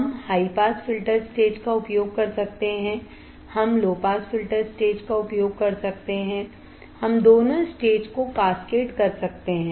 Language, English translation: Hindi, We can use high pass filter stage, we can use low pass filter stage, we can cascade both the stages